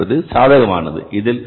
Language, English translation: Tamil, This is going to be 2,500 but it is favorable